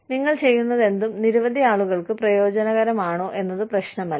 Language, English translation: Malayalam, It does not matter, whether, whatever you are doing, benefits, you know, several people